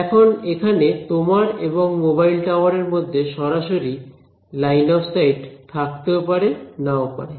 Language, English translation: Bengali, Now, there may or may not be a direct line of sight between you and the mobile tower right